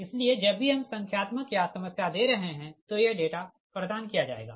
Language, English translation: Hindi, so whenever we are giving numericals or problems, this data will be provided right